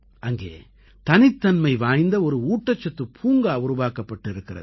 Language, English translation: Tamil, A unique kind of nutrition park has been created there